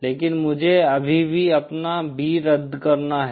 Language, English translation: Hindi, But my I have to still cancel my B in